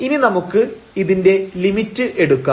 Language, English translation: Malayalam, So, if we take the limit here